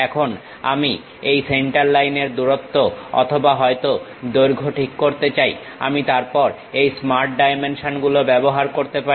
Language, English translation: Bengali, Now, I would like to adjust this center line distance or perhaps length, then Smart Dimensions I can use it